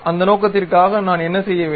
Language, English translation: Tamil, For that purpose what I have to do